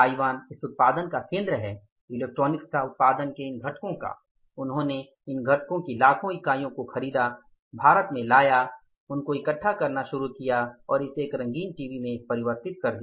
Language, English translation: Hindi, He brought that, he bought that product in millions of units and brought it to India, started assembling those, converting that into a color TV